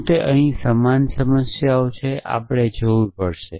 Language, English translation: Gujarati, So, are they similar problems here, we will have to see